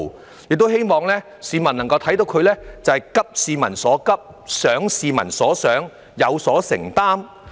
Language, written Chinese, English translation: Cantonese, 市民亦希望能夠看到政府急市民所急，想市民所想，有所承擔。, Members of the public also hope to see that the Government commits itself to thinking what people think and addressing peoples pressing needs